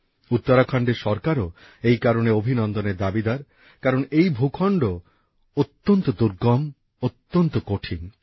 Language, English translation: Bengali, The government of Uttarakhand also rightfully deserves accolades since it's a remote area with difficult terrain